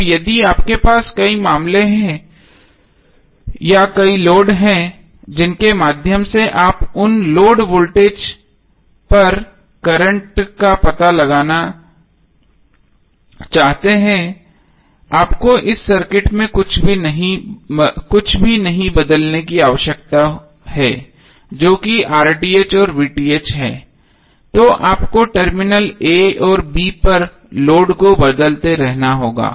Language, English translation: Hindi, Now if you have multiple cases or multiple loads through which you want to find out the current and across those loads voltages, you need not to change anything in this circuit that is RTh and VTh you have to just keep on changing the loads across terminal a and b